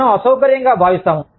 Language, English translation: Telugu, We feel, uncomfortable